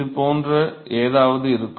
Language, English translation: Tamil, So, that will be something like this